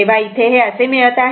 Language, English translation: Marathi, So, another we are getting is